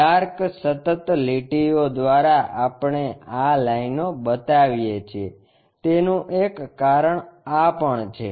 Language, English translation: Gujarati, That is also one of the reason we show it by dark continuous lines